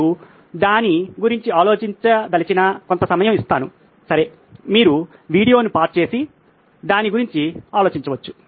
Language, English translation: Telugu, I will give you some time you want to think about it, okay you can pause the video and think about it